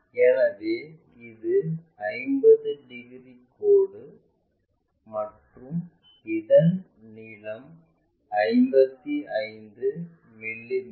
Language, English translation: Tamil, So, this is 50 degrees line and it measures 55 mm long